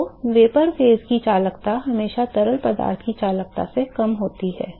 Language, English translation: Hindi, So the conductivity of a vapor phase is always lower than the conductivity of the liquid